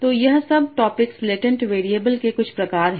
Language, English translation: Hindi, So that is all these topics are some some sort of latent variables